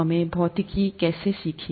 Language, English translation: Hindi, How did we learn physics